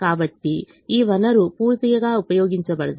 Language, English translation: Telugu, so this resource is not fully utilized